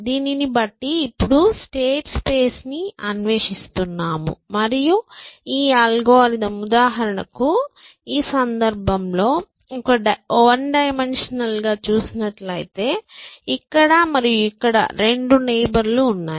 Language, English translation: Telugu, Given that, we are now exploring the states place and this algorithm says that for example, in this case, in a one dimensional word, they are two neighbors here and here